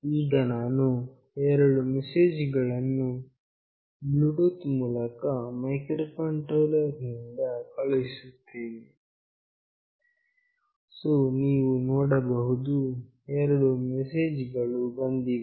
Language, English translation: Kannada, Now, I will send two messages through Bluetooth from this microcontroller to this mobile